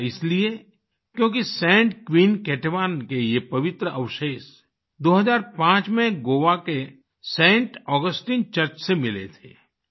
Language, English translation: Hindi, This is because these holy relics of Saint Queen Ketevan were found in 2005 from Saint Augustine Church in Goa